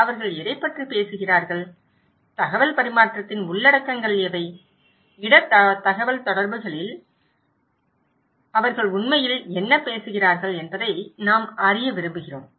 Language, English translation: Tamil, What they are talking about, what are the contents of that exchange of informations that we also like to know, in risk communications but what they are really talking about